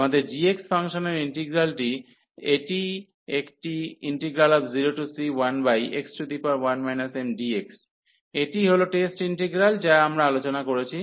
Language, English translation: Bengali, So, what is our integral of g x function, this is a 0 to c and 1 over x power 1 minus m and d x, this is the test integral we have discussed